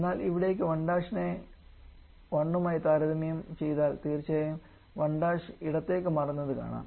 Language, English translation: Malayalam, But if we compare 1 Prime with 1 differently you can see one Prime is getting shifted towards left